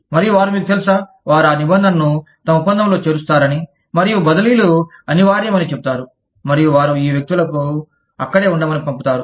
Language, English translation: Telugu, And, they feel that, you know, they will build that stipulation, into their contract, and say transfers are inevitable, and they will put these people, there